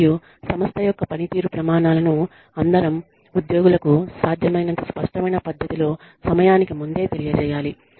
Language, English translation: Telugu, And, the performance standards of the organization, should be communicated to all employees, as far ahead of time, in as clear manner, as possible